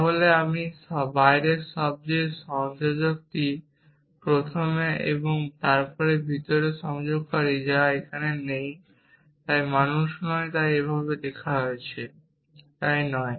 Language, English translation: Bengali, So, the outer most connective is first and then the inner connective which is not here so not man is written like this so not